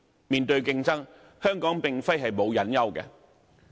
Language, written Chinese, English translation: Cantonese, 面對競爭，香港並非沒有隱憂。, In the face of competition Hong Kong is not without hidden risks